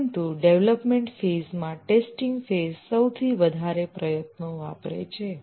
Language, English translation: Gujarati, But among the development phases, the testing phase consumes the maximum effort